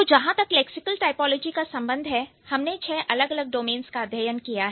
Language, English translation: Hindi, , as far as the lexical typology is concerned, we have studied six different domains